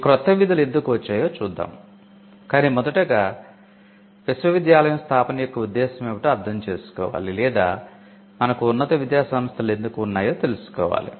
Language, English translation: Telugu, Now, we will look at why these new functions have come, but first we need to understand what’s the purpose of a university was or why did we have higher learning institutions in the first place